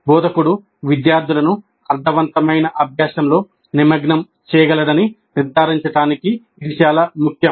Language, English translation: Telugu, This is very important to ensure that the instructor is able to engage the students in meaningful learning